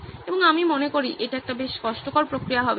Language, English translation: Bengali, And I think that would be a pretty cumbersome process